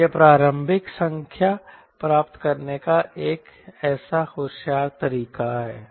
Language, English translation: Hindi, so this is such a smart way of getting initial number to complete this exercise